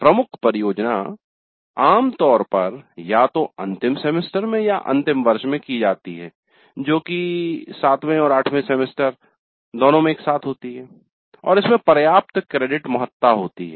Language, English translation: Hindi, The major project is usually done either in the final semester or in the final year that is both seventh and eight semester together and it has substantial credit weightage